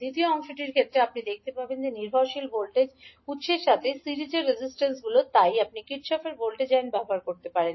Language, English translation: Bengali, In case of second part you will see that the resistances in series with dependent voltage source so you will use Kirchhoff’s voltage law